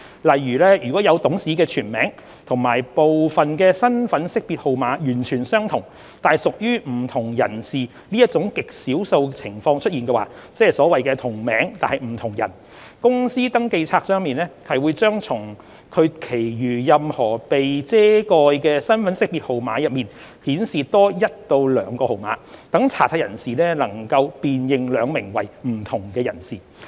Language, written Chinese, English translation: Cantonese, 例如，如果有董事的全名及部分身份識別號碼完全相同，但屬於不同人士這種極少數情況出現，即所謂"同名但不同人"，公司登記冊將從其餘任何被遮蓋的身份識別號碼中顯示多一至兩個號碼，讓查冊人士能辨認兩名為不同人士。, For example in the exceptionally rare circumstances of different directors having identical full name and partial IDN ie . the scenario of different directors with identical names the Companies Register will show one or two additional digits out of any of the remaining redacted digits in IDN for the searcher to identify the two different individuals involved